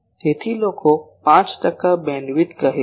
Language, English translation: Gujarati, So, people say 5 percent bandwidth